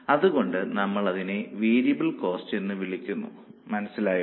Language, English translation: Malayalam, So, we call it as a variable cost